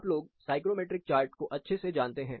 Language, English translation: Hindi, You know the psychrometric chart well